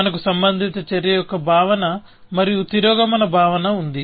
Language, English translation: Telugu, We had the notion of a relevant action and we had a notion of regression